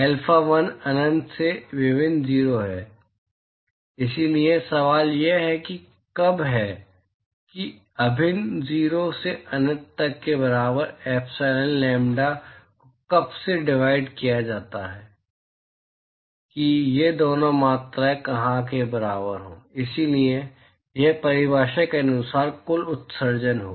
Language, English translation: Hindi, Alpha1 is integral 0 to infinity, so the question is when is that equal to integral 0 to infinity epsilon lambda divided by when is that equal to where are these two quantities equal to, so this is the total emissivity right by definition